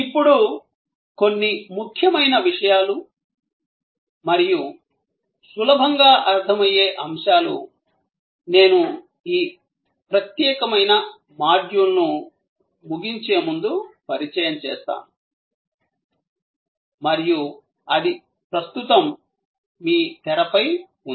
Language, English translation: Telugu, Now, few important things and easily understood concepts, I will introduce before I conclude this particular module and that is on your screen right now